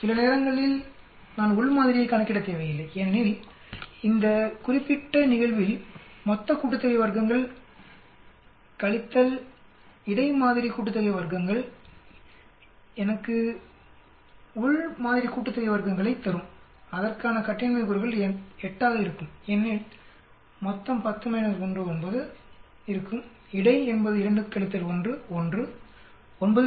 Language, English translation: Tamil, Sometimes, I need not calculate within sample also because in this particular case total sum of squares minus between sample sum of squares will give me the within sample sum of squares and the degrees of freedom for this will be 8, because total will be 10 minus 1, 9, between will be 2 minus 1, 1